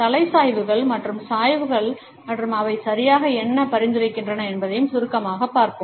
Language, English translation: Tamil, Let us also briefly look at the head tilts and inclines and what exactly do they suggest